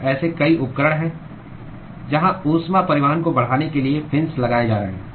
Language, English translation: Hindi, So, there are several equipments where fins are being placed in order to increase the heat transport